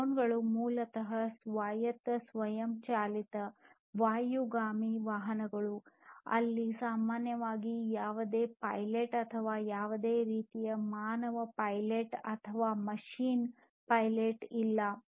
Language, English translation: Kannada, So, drones are basically autonomous self driven, you know, airborne vehicles which where there is typically no pilot or any kind any kind of human pilot or machine pilot